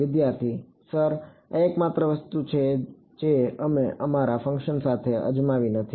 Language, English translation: Gujarati, Sir this is the only thing we did not try with our function